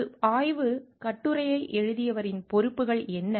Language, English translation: Tamil, What are the responsibilities of an author of a research article